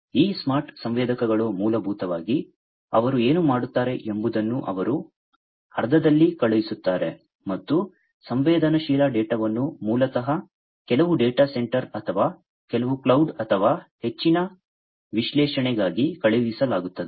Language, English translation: Kannada, So, these smart sensors basically, what they do they send the sense and the sensed data are basically sent to some data center or some cloud or something like that for further analysis